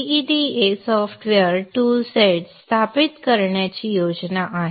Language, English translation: Marathi, The plan is to install GEDA software toolset